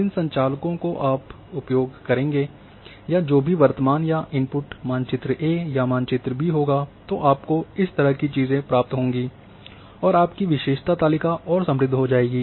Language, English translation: Hindi, The operator which you will use or so whatever present or input means map map A or map B then you end up with this kind of thing and your attribute table will become further rich